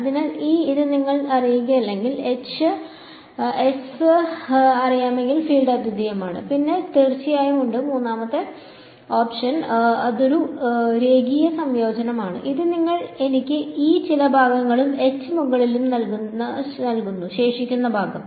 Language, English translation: Malayalam, So, it says if you do not know E tan and if you know H tan over all of S, then the field is unique and then there is of course, the third option is a sort of a linear combination that you give me E tangential over some part and H tangential over the remaining part